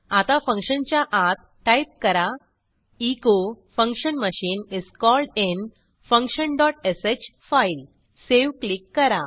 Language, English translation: Marathi, Now type inside the function, echo function machine is called in function dot sh file Click on Save